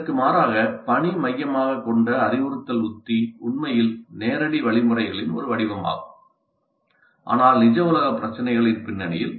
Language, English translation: Tamil, Task centered instructional strategy by contrast is actually a form of direct instruction but in the context of real world problems